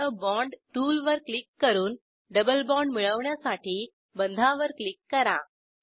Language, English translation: Marathi, Click on Add a bond tool and click on the bond to obtain a double bond